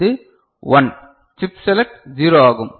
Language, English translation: Tamil, So, this is 1 chip select is 0